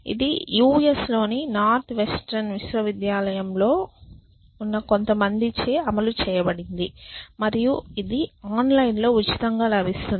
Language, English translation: Telugu, It has been in implemented by some people in the north western university in the US and its available freely online and many